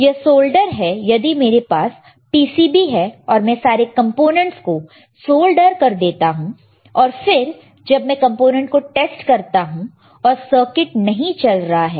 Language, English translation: Hindi, It is called soldering, you can see here it is all soldered it is solder; that means, that once I have this PCB I solder the components if I test the component, and circuit may not work or it is not working